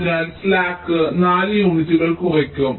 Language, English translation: Malayalam, so the slack will be reduced by four units